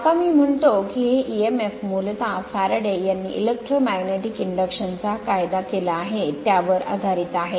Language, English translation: Marathi, Now, this is what I say that this and this emf strictly basically Faraday’s law of electromagnetic induction right